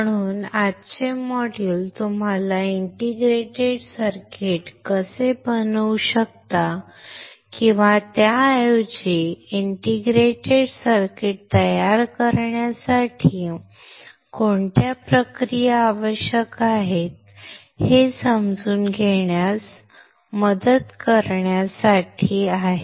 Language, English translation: Marathi, So, today’s module is to help you understand how you can fabricate an integrated circuit or rather what are what are the processes that are required to fabricate an integrated circuit